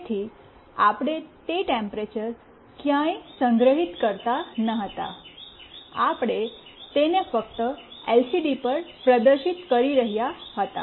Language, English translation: Gujarati, So, we were not storing that temperature anywhere, we were just displaying it on the LCD